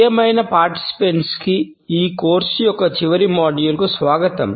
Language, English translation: Telugu, Welcome, dear participants to the last module of this course